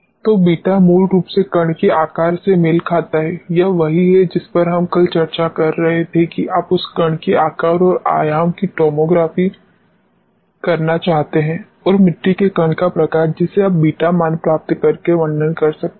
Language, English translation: Hindi, So, beta basically corresponds to the shape of the particle, this is what we have been discussing yesterday, that you want to do the tomography of the particle you know shape and dimension and the type of the soil particle you can characterized by getting the beta value